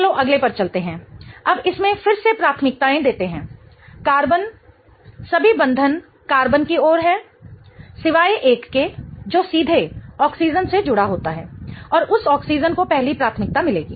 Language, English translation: Hindi, Carbon, all the bonds are to the carbon except one which is directly attached to the oxygen and that oxygen will get the first priority